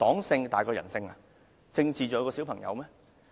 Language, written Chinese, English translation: Cantonese, 政治是否真的較小朋友重要？, Is politics really more important than our children?